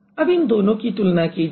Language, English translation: Hindi, So, now compare this and this